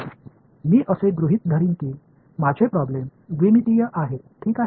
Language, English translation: Marathi, So, what I will do is, I will assume that my problem is two dimensional ok